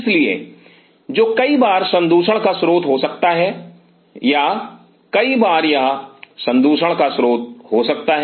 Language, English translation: Hindi, So, which is at time can be source of contamination or many a time it is a source of contamination